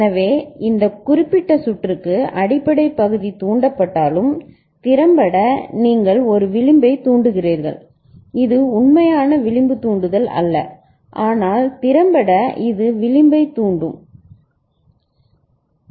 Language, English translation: Tamil, So, for this particular circuit though the basic part of the circuit is level triggered, but effectively you are getting a edge triggering; this is not actual edge triggering, but effectively it is edge triggering ok